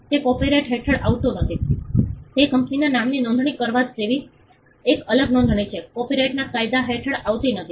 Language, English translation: Gujarati, That does not come under copyright it is a separate registration like registering a company’s name, does not come under the copyright law